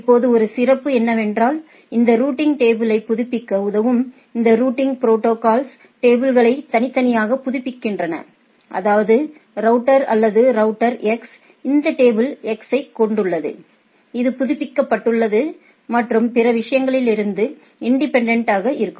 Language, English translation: Tamil, Now one beauty of the thing is that, that this routing protocols which helps in updating these routing tables updates the tables individually; that means, router a or router x has this table x which is updated and independent of the other things right